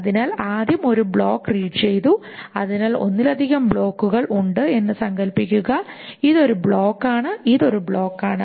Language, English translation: Malayalam, So, suppose there are multiple blocks, this is one block, this is one block, there is one block